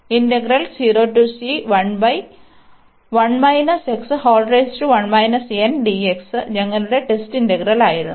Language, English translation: Malayalam, So, this was the test integral